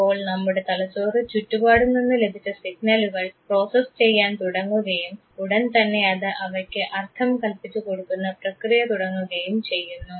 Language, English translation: Malayalam, So, when the brain will start processing the signals that it receives from the environment, it will then suddenly go ahead with process of assigning meaning to it